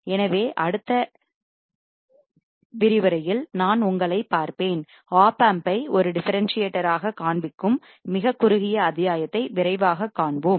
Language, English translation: Tamil, So, I will see you in the next module, and we will see quickly a very short module which will show the opamp as a differentiator